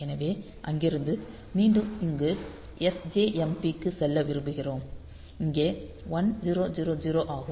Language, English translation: Tamil, So, from there we want to go back to sjmp here and here is 1000